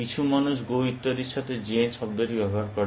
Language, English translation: Bengali, Some people use the word zen with go and so on